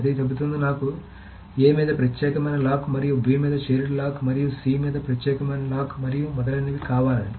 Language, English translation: Telugu, So it will say, okay, I want an exclusive lock on A and a shared lock on B and an exclusive lock on C and etc